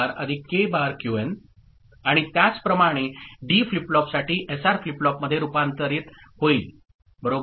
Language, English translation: Marathi, And similarly, for D flip flop getting converted to SR flip flop ok